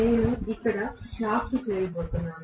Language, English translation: Telugu, I am going to have the shaft here